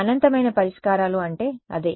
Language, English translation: Telugu, That is what infinite solutions means